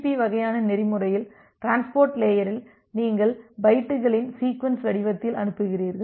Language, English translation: Tamil, So, in transport layer in TCP kind of protocol you send it in the form of sequence of bytes